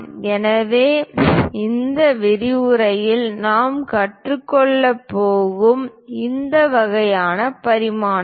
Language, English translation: Tamil, So, this kind of dimensioning which we are going to learn it in this lecture